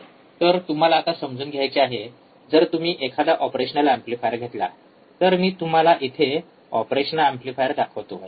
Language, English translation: Marathi, So now you have to understand when you take operational amplifier, when you take an operational amplifier, I will show it to you here